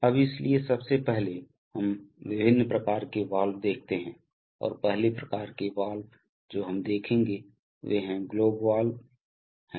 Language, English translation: Hindi, Now, so first of all we see the various kinds of valves and the first kind of valve that we see are globe valves